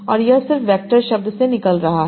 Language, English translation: Hindi, And this is just coming out from the word vectors